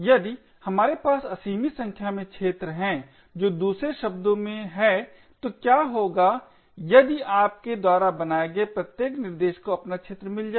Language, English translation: Hindi, What would happen if we have unlimited number of arenas that is in other words what would happen if each thread that you create gets its own arena